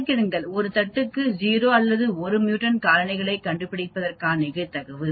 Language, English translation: Tamil, Calculate the probability of finding 0 or 1 mutant colony per plate